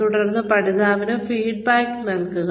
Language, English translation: Malayalam, And then, give feedback to the learner